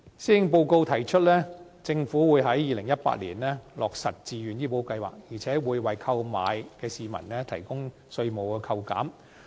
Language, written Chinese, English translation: Cantonese, 施政報告提出，政府計劃在2018年落實自願醫保計劃，而且會為購買的市民，提供稅務扣減。, According to the Policy Address the Government plans to implement the Voluntary Health Insurance Scheme VHIS in 2018 and will offer tax incentives for members of the public who procure such products